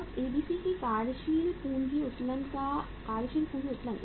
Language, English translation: Hindi, Now working capital leverage of working capital leverage of ABC